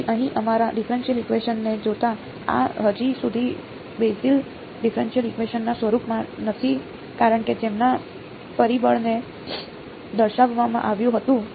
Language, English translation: Gujarati, So, looking at our differential equation over here, this is not yet exactly in the form of the Bessel’s differential equation because as was pointed out the factor of